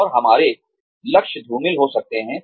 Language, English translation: Hindi, And, our goals could become foggy